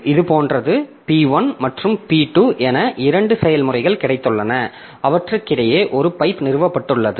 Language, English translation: Tamil, So, it is like this that we have got two processes say P1 and P2 and we have got a pipe established between them